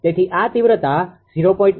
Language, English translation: Gujarati, Therefore, it is 0